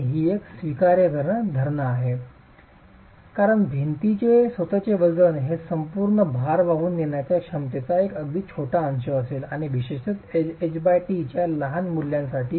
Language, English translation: Marathi, And that is an acceptable assumption because the self weight of the wall is going to be a very small fraction of the total load carrying capacity to the peak critical of the wall itself and particularly so for smaller values of H by T